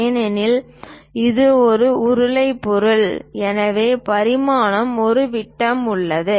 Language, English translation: Tamil, Because it is a cylindrical object that is a reason diameters and so on